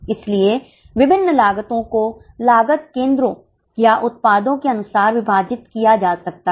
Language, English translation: Hindi, So, different costs can be divided as per cost centres or as per products